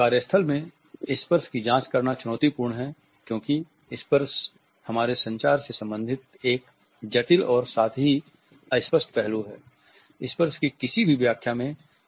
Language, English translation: Hindi, Examining touch in a workplace is challenging as touch is a complex as well as fuzzy aspect related with our communication